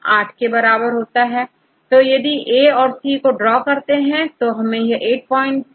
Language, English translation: Hindi, So, if you can draw this A and C this is equal to 8 you divided by 2